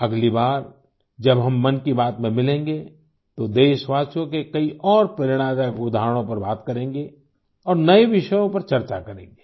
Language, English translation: Hindi, Next time when we meet in Mann Ki Baat, we will talk about many more inspiring examples of countrymen and discuss new topics